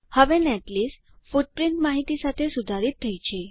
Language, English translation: Gujarati, Now the netlist is updated with footprints information